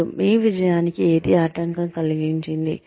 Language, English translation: Telugu, And, what impeded your success